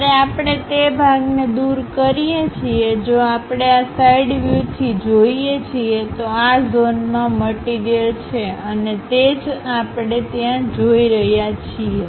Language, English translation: Gujarati, When we remove that part; if we are looking from this side view, there is a material present in this zone and that is the one what we are seeing there